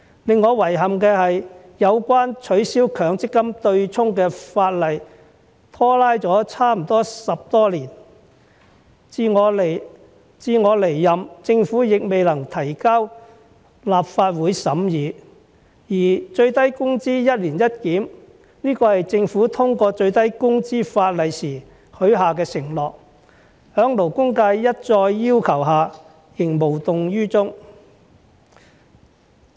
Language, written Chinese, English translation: Cantonese, 令我遺憾的是有關取消強積金對沖的法例拖拉了差不多10多年，至我離任，政府亦未能提交立法會審議，而最低工資"一年一檢"，是政府通過最低工資法例時許下的承諾，在勞工界一再要求下仍無動於衷。, What I find regrettable is that the legislative proposal on abolishing the offsetting arrangement under the Mandatory Provident Fund has dragged on for more than 10 years and when I am about to leave office now the Government is still unable to submit the proposal to the Legislative Council for scrutiny . The Government also undertook to conduct an annual review of the minimum wage level when the ordinance on minimum wage was passed but it has done nothing despite repeated requests from the labour sector